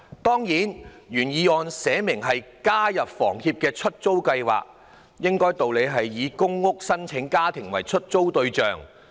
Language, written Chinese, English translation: Cantonese, 當然，原議案清楚訂明建議房委會加入香港房屋協會的"出租計劃"，應理是以公屋的申請家庭為出租對象。, Certainly as the original motion has clearly proposed participation of HA in the Letting Scheme of the Hong Kong Housing Society HKHS the target tenants should be families applying for public rental housing